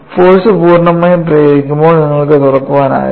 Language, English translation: Malayalam, When the force is applied fully, you will not have opening; it is closed